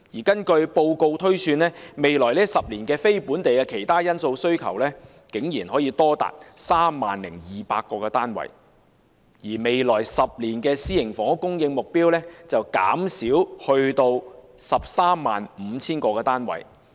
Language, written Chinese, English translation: Cantonese, 根據報告推算，未來10年非本地的"其他因素"需求竟然多達 30,200 個單位，而未來10年的私營房屋供應目標則減少至 135,000 個單位。, According to the report the demand projection in the next 10 years based on miscellaneous factors is as high as 30 200 units; while the supply target for private housing in the next 10 years will be reduced to 135 000 units